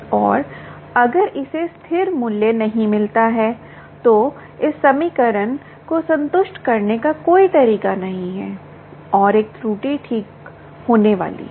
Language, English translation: Hindi, there is no way of fixing satisfying this equation and there is going to be an error